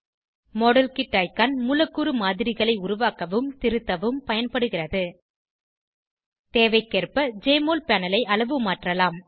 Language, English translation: Tamil, modelkit icon is used to create and edit molecular models The Jmol panel can be resized, according to our requirement